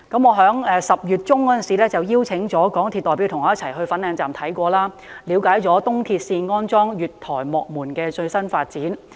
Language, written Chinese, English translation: Cantonese, 我在10月中曾邀請港鐵公司代表和我一起前往粉嶺站視察，了解東鐵線安裝月台幕門的最新發展。, In October I invited MTRCL to join me in a site visit to Fanling Station and learn about the latest progress on platform gate installation in East Rail Line